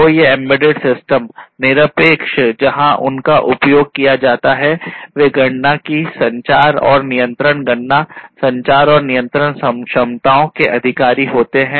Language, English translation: Hindi, So, these embedded systems irrespective of where they are used, they possess certain capabilities of computation, communication and control, compute, communicate and control capabilities